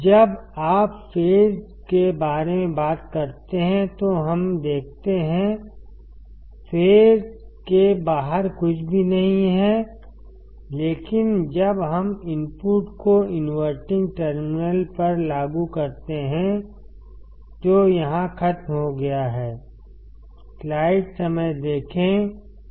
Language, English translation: Hindi, Let us see when you talk about out of phase; out of phase is nothing, but when we apply the input to the inverting terminal which is over here